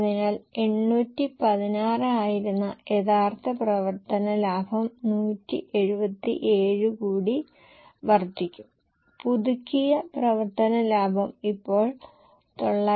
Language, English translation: Malayalam, So, the original operating profit which was 816 will increase by 177 and the revised operating profit is now 994